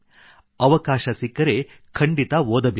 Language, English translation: Kannada, Given an opportunity, one must read it